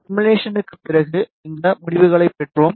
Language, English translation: Tamil, After simulation, we received these results